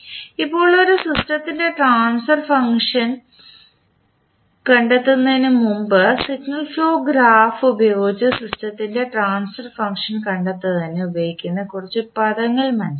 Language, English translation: Malayalam, Now, before going into finding out the transfer function of a system let us understand few terms which we will use for finding out the transfer function of the system using signal flow graph